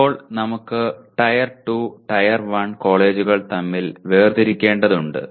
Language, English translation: Malayalam, Now we come to, we have to differentiate between Tier 2 and Tier 1 colleges